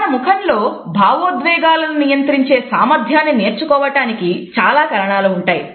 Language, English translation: Telugu, There are different reasons because of which we learn to control our facial expression of emotion